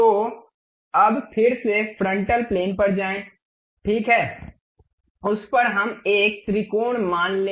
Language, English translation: Hindi, So, now again go to frontal plane, ok, on that let us consider a triangle